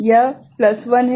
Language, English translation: Hindi, This is plus 1